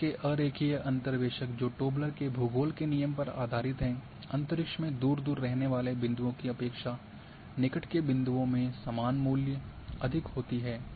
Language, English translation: Hindi, This kind of non linear interpolations which based on the Tobler’s Law of Geography points close together in space are more likely to have similar values than points farther apart